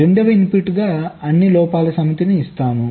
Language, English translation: Telugu, as the second input we give the set of all faults